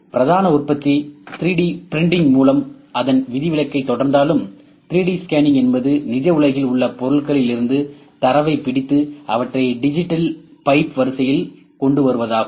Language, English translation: Tamil, So, while the mainstream manufacturing continues its exception with 3D printing 3D scanning is act of capturing data from objects in the real world and bringing them into the digital pipe line